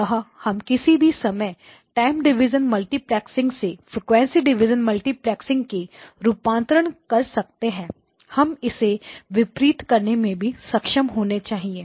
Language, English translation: Hindi, So anytime you do the transformation from time division multiplexing to frequency division multiplexing we must be able to do the reverse operation